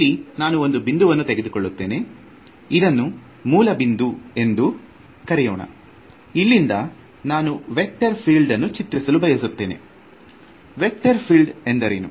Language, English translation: Kannada, So, let say that I have some point over here, let us call this the origin and I am trying to plot a vector field like this